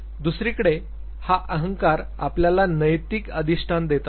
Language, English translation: Marathi, The super ego on the other hand it now gives moral governance to you